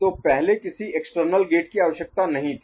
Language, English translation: Hindi, So, earlier no external gate is required